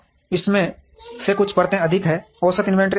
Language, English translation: Hindi, Some of these are more number of layers, higher the average inventory